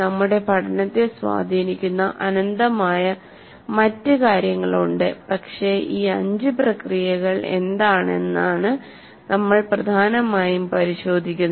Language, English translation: Malayalam, There are endless number of other things that influence our learning, but we'll mainly look at what these five processes are